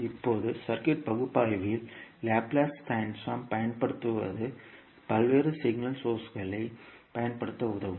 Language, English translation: Tamil, Now the use of Laplace in circuit analysis will facilitate the use of various signal sources